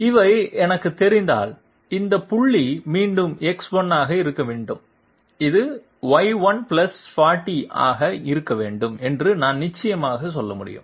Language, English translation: Tamil, If these are known to me, then I can definitely say this point must be X 1 once again and this must be Y 1 + 40 that is it